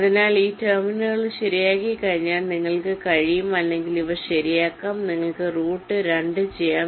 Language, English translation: Malayalam, so once these terminals are fixed, you can or these are fixed, you can route two